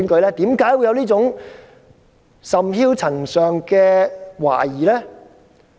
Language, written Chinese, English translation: Cantonese, 為何會有這種甚囂塵上的懷疑呢？, Why do we have such clamorous scepticism?